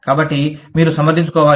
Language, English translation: Telugu, So, you have to justify